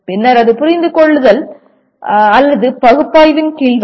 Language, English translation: Tamil, Then it will come under understand or analysis